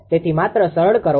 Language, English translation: Gujarati, So, just simplify right